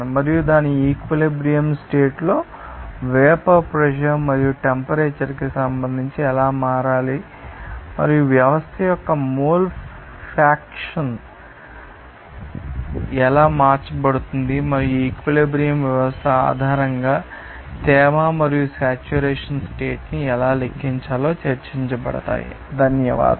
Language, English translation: Telugu, And vapour pressure at its equilibrium condition and how to be changing with respect to temperature and how mole faction will be changed of the system and also how to calculate the humidity and saturation condition based on this equilibrium system condition will be discussing so, thank you for this